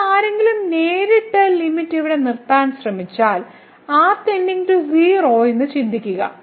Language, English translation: Malayalam, And now if someone just directly try to put the limit here and think that goes to 0